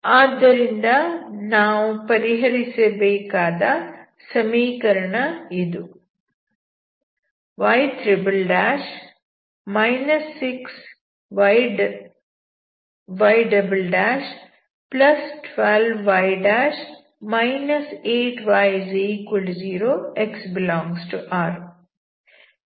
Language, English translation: Kannada, So the equation to solve is y' ' '−6 y' '+12 y'−8 y=0 , x ∈ R